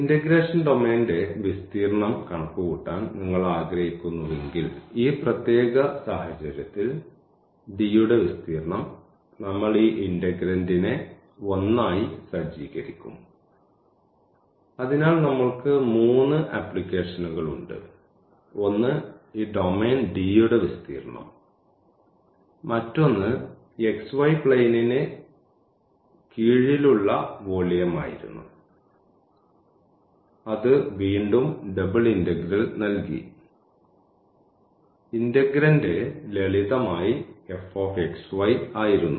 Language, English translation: Malayalam, And, if you want to compute the area of the domain of integration so, the area of D in this particular case then we will just set this integrand as 1; so we have 3 applications: the one was the area of this domain D, another one was the volume under this surface over the xy plane which was given by again double integral where, the integrand was simply f x y